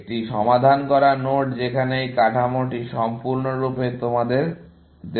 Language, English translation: Bengali, A solved node is where; this structure is entirely given to you, essentially